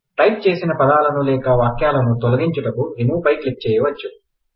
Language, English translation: Telugu, We can remove the word or sentence typed, by clicking Remove